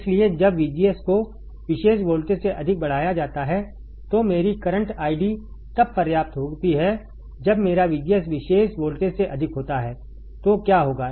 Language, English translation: Hindi, So, when VGS is increased below greater than particular voltage my current I D is sufficient to for when my VGS is greater than particular voltage, th what will happen